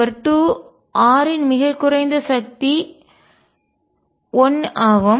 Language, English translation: Tamil, And number two that the lowest power of r is 1